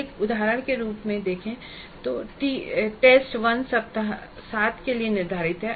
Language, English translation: Hindi, As an example, we saw that T1 is scheduled for week 7